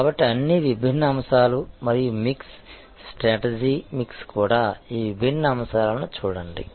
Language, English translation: Telugu, So, all the different aspects and the mix, the strategy mix will have to also therefore, look at all these different aspects